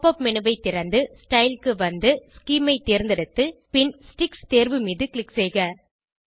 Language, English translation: Tamil, Open the Pop up menu, scroll down to Style , select Scheme and click on Sticks options